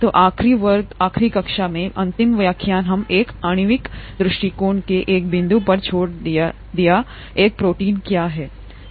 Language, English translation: Hindi, So in the last class, last lecture we left at a point, from a molecular viewpoint, what is a protein